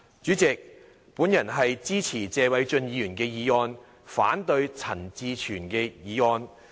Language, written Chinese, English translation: Cantonese, 主席，我支持謝偉俊議員的議案，反對陳志全議員的議案。, President I support Mr Paul TSEs motion but oppose Mr CHAN Chi - chuens motion